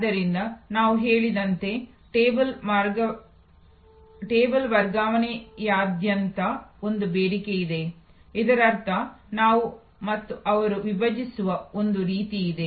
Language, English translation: Kannada, So, there is a sought of across the table transfer as we say; that means, there is a some kind of we and them divide